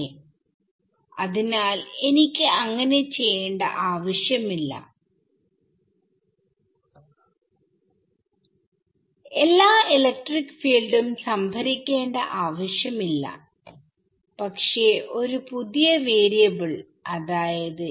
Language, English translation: Malayalam, So, I do not need to so, I do not need to store all the electric fields, but I need to store one new variable which is psi